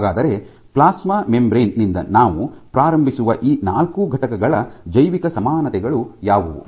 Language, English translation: Kannada, So, what are the biological equivalents of these four entities that we start from the plasma membrane